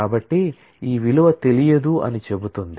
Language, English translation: Telugu, So, it says that this value is not known